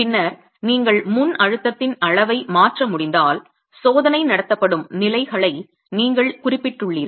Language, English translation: Tamil, And then if you can change the level of pre compression, you have designated levels at which the test is being conducted